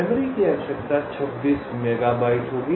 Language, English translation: Hindi, memory required will be twenty six megabytes